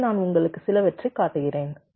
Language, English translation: Tamil, so i have, i am showing you a few